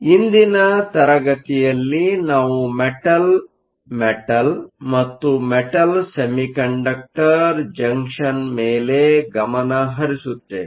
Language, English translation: Kannada, In today's class, we will focus on the Metal Metal and Metal Semiconductor Junction